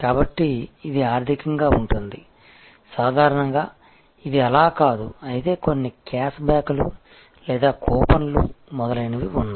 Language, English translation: Telugu, So, it can be financial, usually this is not the case, but of course, there are some cash backs or coupons, etc